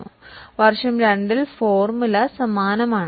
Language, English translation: Malayalam, In year 2, the formula is same